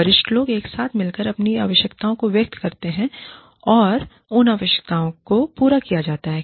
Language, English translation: Hindi, Senior people, get together, express their needs, and those needs are fulfilled